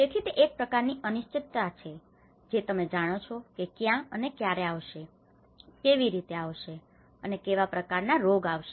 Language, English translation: Gujarati, So, that is where and it is a kind of uncertainty you know when it will come and how it will come and what kind of diseases it will come